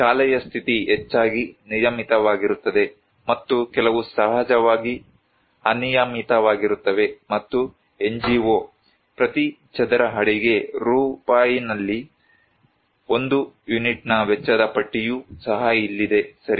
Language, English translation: Kannada, The status of school mostly regular and some are irregular of course and here is also the list of cost of one unit in Rs is per square feet by NGO okay